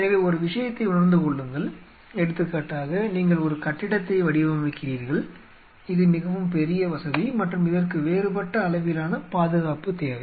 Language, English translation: Tamil, So, realize one thing see for example, you are designing a building which is far bigger facility and needs a different level of security